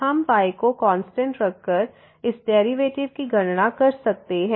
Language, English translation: Hindi, We can just compute this derivative by keeping as constant